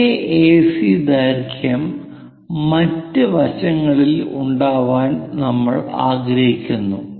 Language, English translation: Malayalam, So, AC side is given for us and the same AC length we would like to have it on other sides